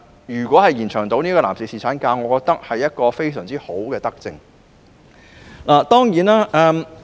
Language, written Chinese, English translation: Cantonese, 如能延長男士侍產假，我認為會是非常合宜的德政。, I think it would be a really appropriate and beneficial initiative if the paternity leave for men can be lengthened